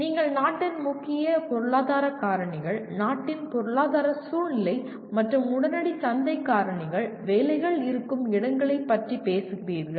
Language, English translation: Tamil, You are talking of the major economic factors of the country, economic scenario of the country and immediate market factors, where the jobs are